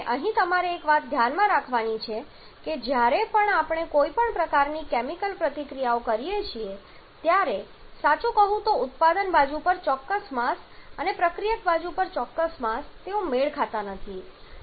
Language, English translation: Gujarati, Here one thing you have to keep in mind that whenever we are having some kind of chemical reaction the exact mass on the product side and exact mass on the reactant side they are not going to match truly speaking